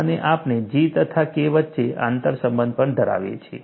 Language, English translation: Gujarati, And we also have an inter relationship between G and K